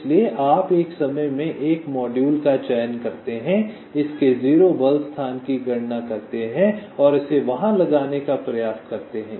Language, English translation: Hindi, so you select one module at a time, computes its zero force location and try to place it there